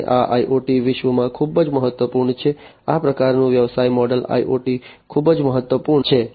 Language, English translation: Gujarati, And this is very important in the you know IoT world this kind of business model is very important in the IoT world